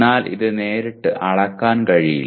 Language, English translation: Malayalam, But which cannot be directly measured